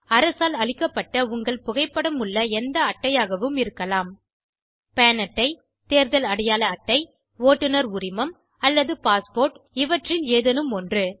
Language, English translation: Tamil, Any government issued card with photo it could be an Pan card Election card Driving license or a passport it could be any of these